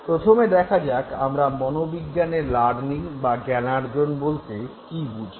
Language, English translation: Bengali, So, let us understand what actually we mean by learning in psychology